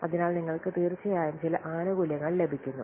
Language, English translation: Malayalam, So, you are certainly getting some benefits